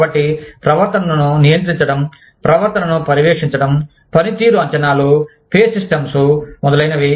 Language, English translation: Telugu, So, controlling behavior, monitoring behavior, performance appraisals, pay systems, etcetera